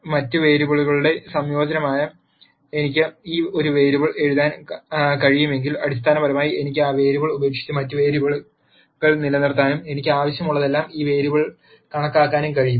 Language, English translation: Malayalam, If I can write one variable as a combination of other variables then basically I can drop that variable and retain the other variables and calculate this variable whenever I want